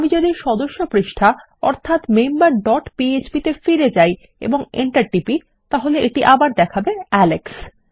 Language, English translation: Bengali, If I go back to the member page which is member dot php and press enter it is still saying alex